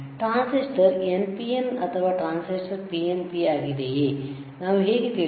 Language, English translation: Kannada, So, whether the transistor is NPN or whether the transistor is PNP, how we can know